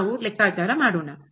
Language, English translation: Kannada, Let us compute